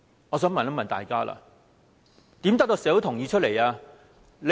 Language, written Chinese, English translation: Cantonese, 我想問大家，如何得到社會的同意？, I want to ask Members how the Government can do so